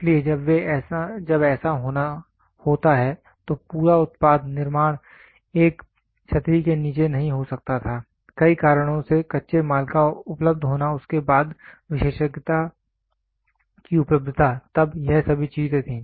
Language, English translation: Hindi, So, when this has to happen, the complete product manufacturing could not happen and one under one umbrella, due to several reasons available of raw material then availability of expertise all these things were there